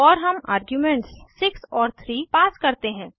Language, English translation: Hindi, And we pass 42 and 5 as arguments